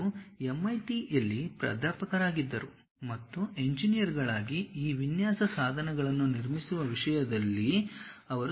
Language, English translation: Kannada, He was a professor at MIT, and he has spent lot of time in terms of constructing these design tools for engineers